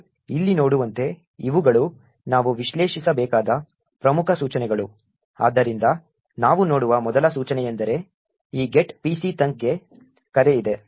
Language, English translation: Kannada, As we see over here these are the important instructions which we have to analyse, so first instruction we see is that there is a call to this get pc thunk